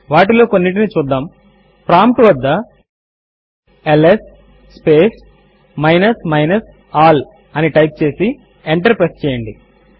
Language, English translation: Telugu, Let us see some of them, Type at the prompt ls space minus minus all and press enter